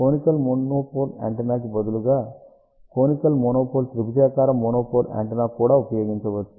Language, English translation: Telugu, So, one can use conical monopole antenna instead of a conical monopole antenna, a triangular monopole antenna can also be used